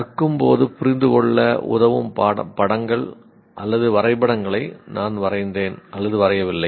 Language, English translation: Tamil, I draw or do not draw pictures or diagrams to help me understand while learning